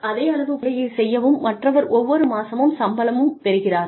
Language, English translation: Tamil, And, somebody else is putting the same amount of work, but is getting paid every month